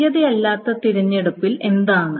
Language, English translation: Malayalam, What is on a non equality selection